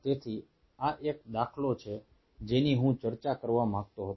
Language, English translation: Gujarati, so this is one paradigm which i wanted to discuss